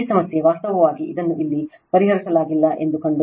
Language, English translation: Kannada, This problem actually you find it out this is not solved here right